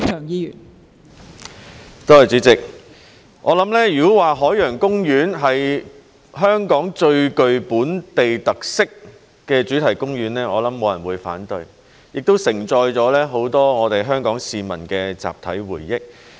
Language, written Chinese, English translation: Cantonese, 如果說海洋公園是香港最具本地特色的主題公園，我想沒有人會反對，它亦承載了很多我們香港市民的集體回憶。, I think no one will disagree if I describe Ocean Park OP as the theme park with the most local characteristics in Hong Kong . It also carries a lot of collective memories of we Hong Kong people